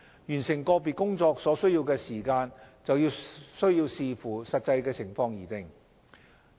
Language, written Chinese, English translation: Cantonese, 完成個別工作所需要的時間則需視乎實際情況而定。, 32 . The time required to complete an individual task depends on the actual circumstances